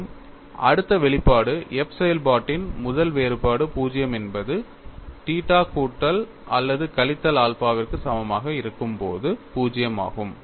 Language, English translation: Tamil, And the next expression what you have, is the first differential of the function f is 0; f is 0, when theta equal to plus or minus alpha